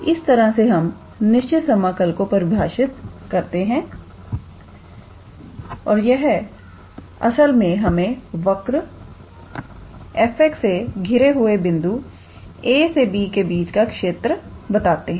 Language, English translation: Hindi, So, this is how we define the definite integral and this actually gives us the area between the point a to b bounded by this curve f x